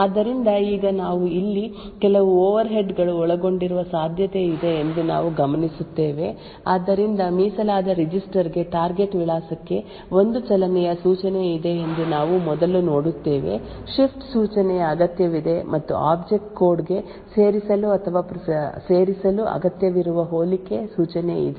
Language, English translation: Kannada, So now we note that there could be certain overheads involved over here so we first see that there is a move instruction for the target address to the dedicated register there is a shift instruction required and there is a compare instruction that is required to be added or to be inserted into the object code